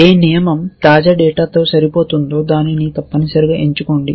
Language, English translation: Telugu, Whichever rule is matching the latest data choose that essentially